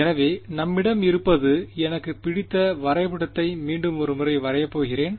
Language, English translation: Tamil, So, what we have I am going to a draw our favourite diagram once again right